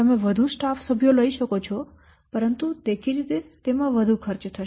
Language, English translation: Gujarati, You can take more staff members, but obviously it will take more cost